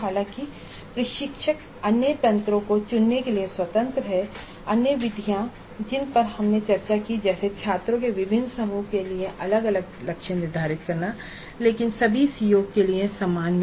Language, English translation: Hindi, However, instructor is free to choose the other mechanisms, other methods which we discuss like this way of setting the targets for different groups of students separately or setting the targets group wise but common to all COs